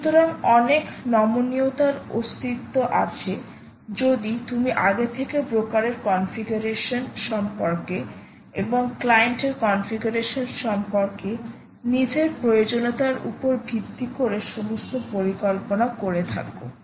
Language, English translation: Bengali, so lot of flexibility existed and it you had actually plan everything about your configuration of the broker as well as configuration of the client based on your requirements